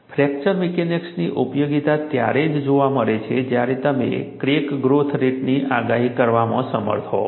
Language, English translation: Gujarati, The usefulness of fracture mechanics is seen, only when you are able to predict crack growth rate